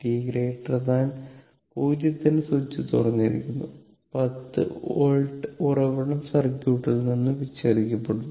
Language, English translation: Malayalam, For t greater than 0, the switch is open and the 10 volt source is disconnected from the circuit